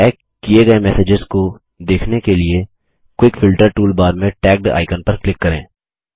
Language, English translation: Hindi, To view messages that are tagged, from the Quick Filter toolbar, click on the icon Tagged